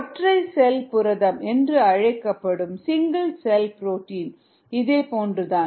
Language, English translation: Tamil, similar is the case with something called single cell protein